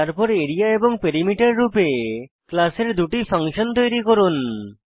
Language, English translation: Bengali, Then Create two functions of the class as Area and Perimeter